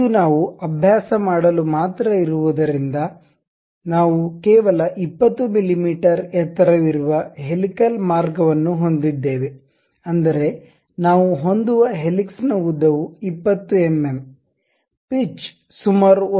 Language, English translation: Kannada, Because it is just a practice as of now what we are going to do is we will have some helical path with height 20 mm; that means, the length of the helix what we are going to have is 20 mm pitch is around 1